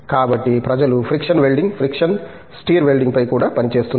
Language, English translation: Telugu, So, people are also working on friction welding, friction stir welding